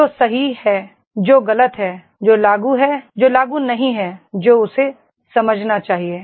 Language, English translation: Hindi, What is right what is wrong, what is applicable, what is not applicable that he should understand